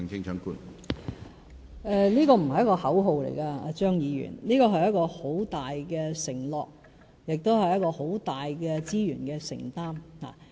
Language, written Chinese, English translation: Cantonese, 這不是口號，張議員，這是一個很大的承諾，亦是很大的資源承擔。, Dr CHEUNG this is not a slogan . Rather it is a great pledge and also a huge commitment of resources